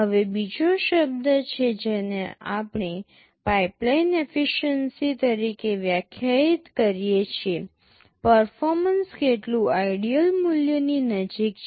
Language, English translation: Gujarati, Now, there is another term we define called pipeline efficiency; how much is the performance close to the ideal value